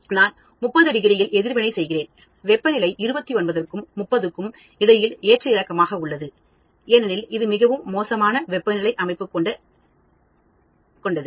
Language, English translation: Tamil, I am doing reaction at 30 degrees and the temperature will fluctuate between 29 and 31, because I have a very poor heating system